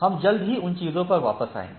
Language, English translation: Hindi, We will come back to those things shortly